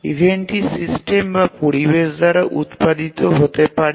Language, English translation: Bengali, And the event may be either produced by the system or the environment